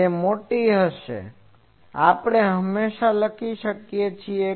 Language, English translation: Gujarati, , that will be high; we can always write this